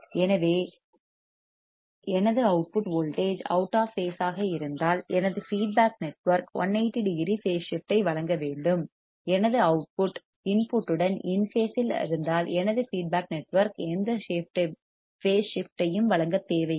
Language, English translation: Tamil, So, if it my output voltage is out of phase, and my feedback network should provide a 180 phase shift; if my output is in phase with the input my feedback network does not require to provide any phase shift